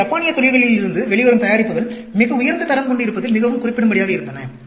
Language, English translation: Tamil, So, products that were coming out from Japanese industries were very particular about highest quality